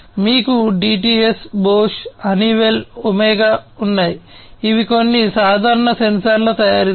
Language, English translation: Telugu, You have the DTS, Bosch, Honeywell, OMEGA, these are some of the common sensor manufacturers